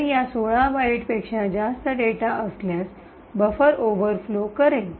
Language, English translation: Marathi, So, anything beyond these 16 bytes would lead to a buffer overflow